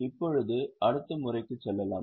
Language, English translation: Tamil, Now let us go to the next method